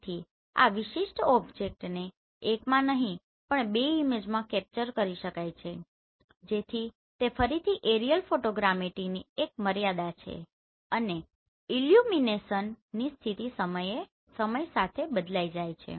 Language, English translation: Gujarati, So this particular object can be captured in two images not in one so that is again the another limitation of this aerial photogrammetry and illumination condition changes with time